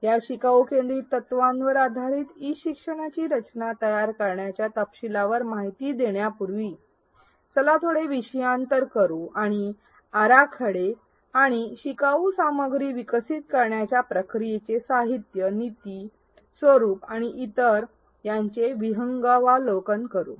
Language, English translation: Marathi, Before we delve into the details of designing e learning based on these learner centric principles, let us do a brief digression and look at an overview of the process of designing and developing learning content, the materials, the strategies, the formats and so on